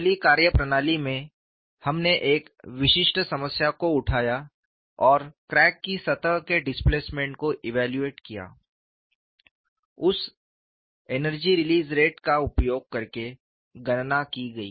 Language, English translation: Hindi, In the first methodology, we took up a specific problem and evaluated the crack surface displacements, using that energy release rate was calculated